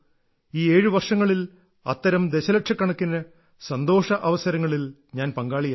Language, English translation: Malayalam, In these 7 years, I have been associated with a million moments of your happiness